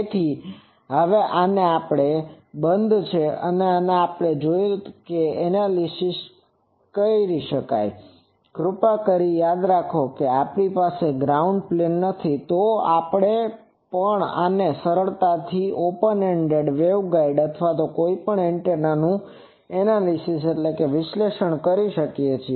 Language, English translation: Gujarati, So, this so this close now we can also analyze please remember that if we do not have the ground plane, if we do not have the ground plane then also we can analyze the obvious open ended waveguide or any antenna